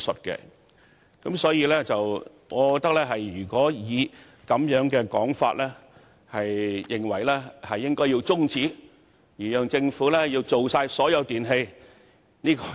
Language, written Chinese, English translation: Cantonese, 因此，如果議員認為現時應中止辯論，以讓政府考慮涵蓋所有電器，這只是空話。, Therefore if Members consider that the debate should be adjourned for the Government to consider extending the coverage to all electrical appliances it is merely empty talk